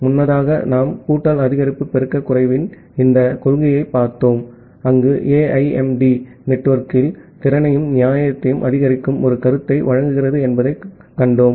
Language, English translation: Tamil, So, earlier we have looked into these principles of additive increase multiplicative decrease, where we have seen that well AIMD provides a notion of maximizing the capacity as well as fairness in the network